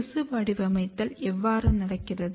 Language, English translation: Tamil, Then how tissue pattering are happening